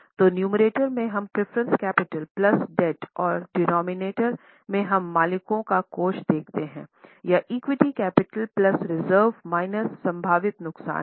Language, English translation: Hindi, So, in the numerator we consider the preference capital plus debt and the denominator we see the owner's fund that is equity capital plus reserves minus any possible losses